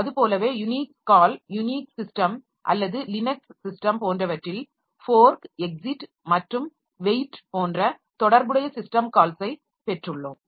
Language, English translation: Tamil, Similarly for Unix call, Unix system or Linux system, so we have got the corresponding system called like fork, exit and wait